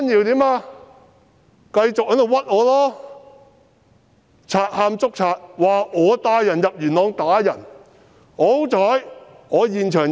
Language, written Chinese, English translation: Cantonese, 他繼續誣衊我、賊喊捉賊，指我帶人入元朗打人。, He continued to vilify me and like a thief crying thief he alleged that it was me who brought people to Yuen Long to assault people